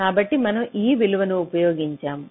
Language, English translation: Telugu, ok, so we have used this value